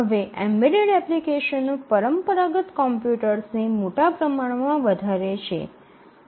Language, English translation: Gujarati, Now the embedded applications vastly outnumber the traditional computers